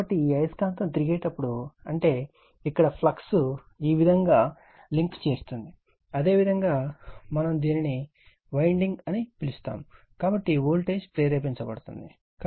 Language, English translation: Telugu, So, as it is if it magnet is revolving that means, flux linking here this your what we call this your what we call this winding, so voltage will be induced right